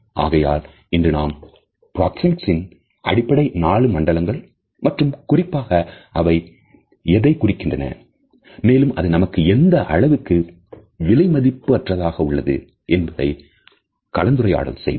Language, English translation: Tamil, So, today we have discussed the basic four zones of proxemics as well as what exactly do they mean and how precious they are to us